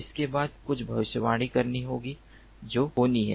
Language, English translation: Hindi, then after that there has to be some predic prediction